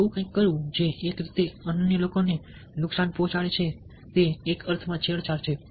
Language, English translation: Gujarati, doing something which, in a way, hurts the other people, ah is is in some sense a manipulation